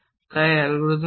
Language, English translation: Bengali, So, what is the algorithm